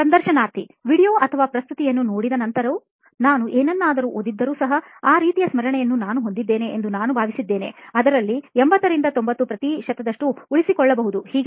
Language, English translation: Kannada, Even after watching a video or presentation, I have, I think I have that sort of memory like even if I read something, I can retain 80 to 90 percent of it